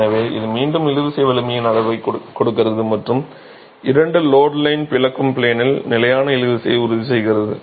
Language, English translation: Tamil, So, this is again giving you a measure of the tensile strength and the two line loads ensure constant tension in the splitting plane